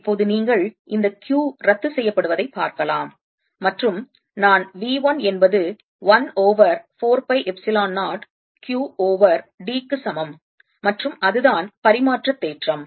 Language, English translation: Tamil, now you can see that this q cancels and i get v one equals one over four pi, epsilon zero, q over d, and that's the reciprocity theorem